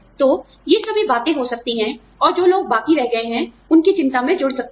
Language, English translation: Hindi, So, all of these things, you know, can happen, and can add, to the anxiety of the people, who are left behind